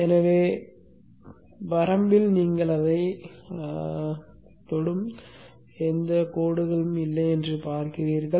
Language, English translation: Tamil, So in the limit you will see that it may just touch